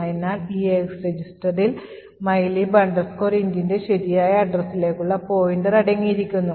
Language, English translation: Malayalam, So, note that the EAX register contains the pointer to the correct address of mylib int